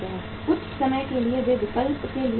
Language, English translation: Hindi, Sometime they go to the alternatives